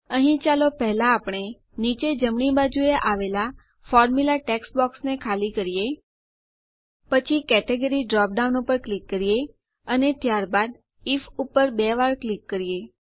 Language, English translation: Gujarati, Here, let us first empty the Formula text box at the bottom right Then click on the Category dropdown, and then double click on IF